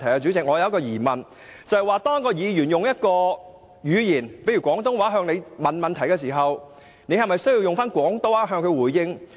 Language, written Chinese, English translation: Cantonese, 主席，我有一個疑問，如果一名議員以廣東話向你提問，你是否需要以廣東話回應？, Chairman I have a question If a Member puts a question to you in Cantonese is it necessary for you to respond in Cantonese?